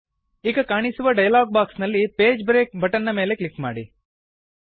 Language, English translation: Kannada, In the dialog box which appears, click on the Page break button